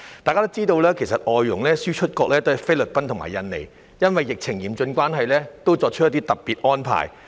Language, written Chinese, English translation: Cantonese, 大家也知道，外傭輸出國菲律賓和印尼因為疫情嚴峻，已作出一些特別安排。, As we all know because of the rampant pandemic outbreaks in Philippines and Indonesia these FDH exporting countries have made special arrangements